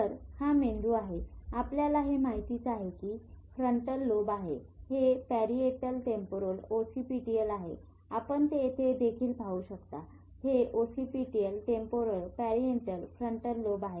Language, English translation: Marathi, So as you remember these are frontal lobe, this this is parietal lobe, temporal, occipital, you can see it here also